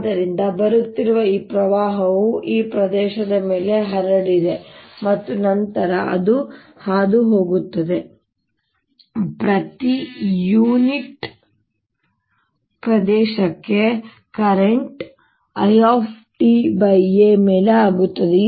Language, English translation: Kannada, so it is as if this current which is coming in has spread over this area, a, and then it's going through, so the current per unit area becomes i t over a